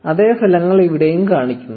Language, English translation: Malayalam, The same results show up here as well